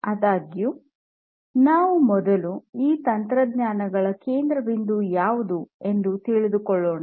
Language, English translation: Kannada, However, let us first try to understand, what is central to each of these technologies